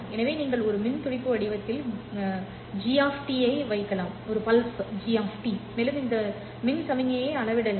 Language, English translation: Tamil, So you can put in an electrical pulse shaper which is G of T and also suitably scale up this electrical signal